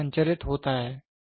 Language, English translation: Hindi, So, it is transmitted